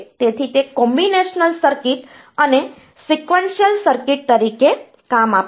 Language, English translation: Gujarati, So, it occurs as a Combinational circuit and Sequential circuit